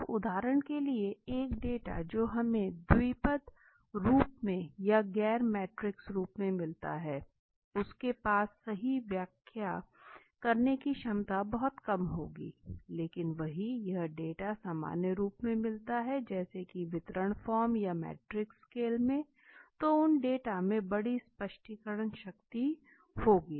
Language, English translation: Hindi, Now for example, a data which is let us say in a binomial form or let us say in a non matrix form will have very less you know ability to explain right, if let us say in a normality, in normal form, in normal distribution form or you can say in a matrix scale for example those data have larger explanation power, okay